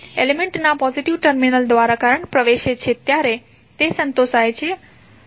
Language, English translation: Gujarati, It is satisfied when current enters through the positive terminal of element